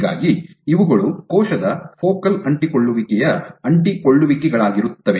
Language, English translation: Kannada, So, these are adhesions of the cell focal adhesions